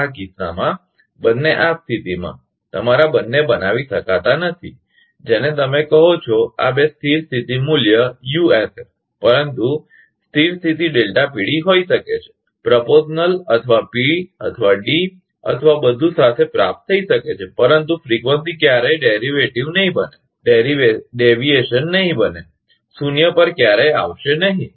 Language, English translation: Gujarati, In this case,, both in this case, both cannot be made your, what you call this two is steady state value USS, but steady state may be delta PD, may be achieved with proportional or PD or everything, but frequency will never become to deviation, will never come to zero